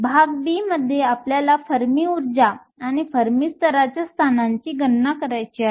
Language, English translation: Marathi, Part b, we want to calculate the Fermi energy or the location of the Fermi level